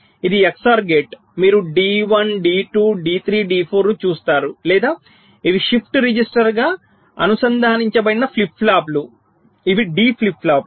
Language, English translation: Telugu, you see d one, d two, d three, d four or these are flip flops connected as a shift register